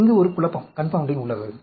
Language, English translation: Tamil, There is a confounding